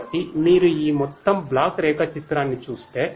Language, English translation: Telugu, So, if you look at this overall block diagram